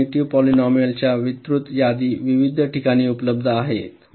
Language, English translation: Marathi, there are comprehensive lists of this primitive polynomials available in various places